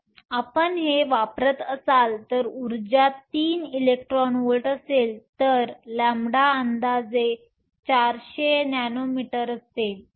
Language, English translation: Marathi, If you use this if your energy is 3 electron volts, then lambda is approximately 400 nanometers